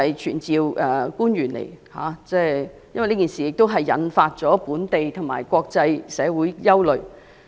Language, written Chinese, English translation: Cantonese, 傳召官員到立法會，是因為這件事情已引起本地和國際社會關注。, We summon officials to attend before the Legislative Council because this incident has aroused the concern of the local and international communities